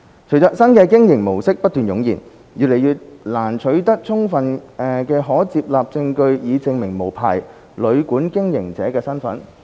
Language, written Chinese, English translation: Cantonese, 隨着新的經營模式不斷湧現，越來越難取得充分的可接納證據以證明無牌旅館經營者的身份。, With the proliferation of new modes of operation it is increasingly difficult to secure sufficient admissible evidence to prove the identity of the person who is operating the unlicensed hotel or guesthouse